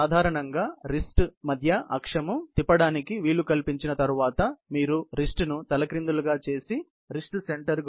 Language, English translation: Telugu, Basically, once the wrist center axis is enable to rotate, you can also turn the wrist upside down and bend wrist about wrist center